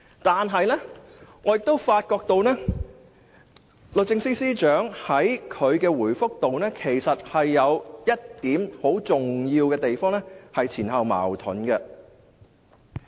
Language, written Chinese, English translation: Cantonese, 但是，我發覺律政司司長在他的回覆中有一點很重要的地方，是前後矛盾的。, But I notice one very important point in his reply which is contradictory to what he said previously